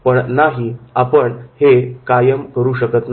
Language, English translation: Marathi, No, no, you can't do that